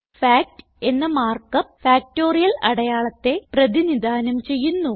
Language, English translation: Malayalam, The mark up fact represents the factorial symbol